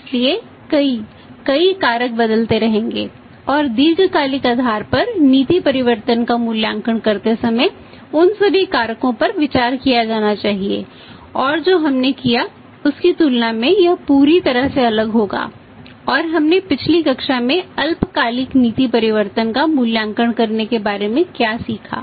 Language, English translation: Hindi, So, many, many factors will be changing and all those factors should be considered while evaluating the policy change on the long term basis and it will be totally different as compared to what we did in the previous class and learnt about say measuring the short term policy change